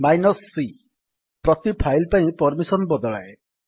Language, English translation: Odia, c : Change the permission for each file